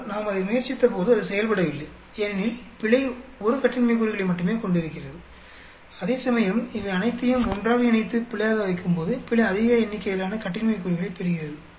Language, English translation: Tamil, But when we tried that it does not work out, because error ends up having only 1 degree of freedom, whereas when we combine all these together and put them as error then error gets a higher number of degrees of freedom